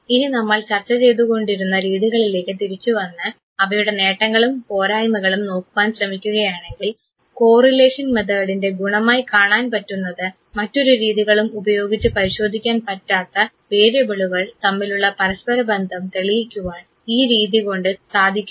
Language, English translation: Malayalam, Now, coming back to the methods that we have discussed if we try to look at the advantages and the limitations of these methods correlation method has a beauty it clarifies a relationship between the variables which usually cannot be examined using other methods